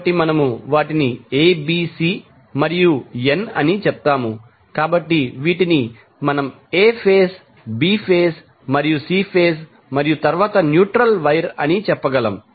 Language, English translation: Telugu, So, we say them ABC and n, so, the these we can say as A phase, B phase and C phase and then the neutral wire